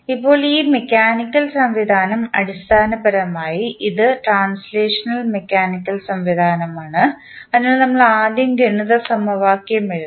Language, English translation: Malayalam, Now, this mathematical, this mechanical system, the basically this is translational mechanical system, so we have to first write the mathematical equation